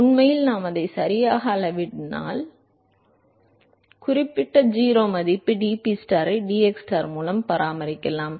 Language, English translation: Tamil, In fact, if we scale it out properly, you can actually maintain that certain 0 value dPstar by dxstar